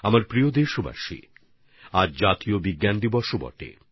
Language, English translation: Bengali, today happens to be the 'National Science Day' too